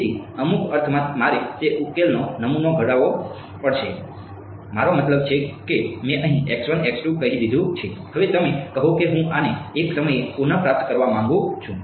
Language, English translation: Gujarati, So, in some sense I have to down sample that solution I mean I have let us say x 1 x 2 here, now you are saying I want to retrieve this at a